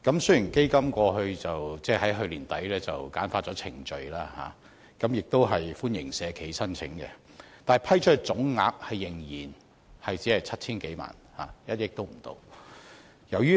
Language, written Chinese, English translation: Cantonese, 雖然基金於去年年底簡化程序，同時歡迎社企申請，但所批出總額仍然只有 7,000 多萬元，是不足1億元。, Although the Recycling Fund the Fund streamlined its procedure and started to allow social enterprises to make applications late last year only about 70 million in total less than 100 million has been approved so far